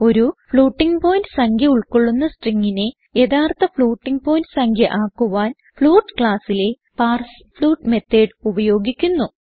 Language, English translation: Malayalam, parsefloat We are using the Parsefloat methods of the float class to convert the string containing a floating point number into an actual floating point number